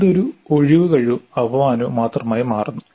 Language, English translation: Malayalam, That becomes only an excuse and a disservice